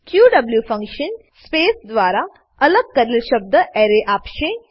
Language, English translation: Gujarati, qw function returns an Array of words, separated by space